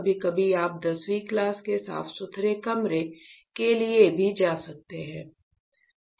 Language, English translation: Hindi, Sometimes you can also go for class 10 kind of clean room, ok